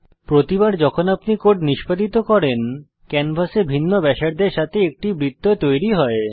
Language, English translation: Bengali, Every time you execute this code, a circle with a different radius is drawn on the canvas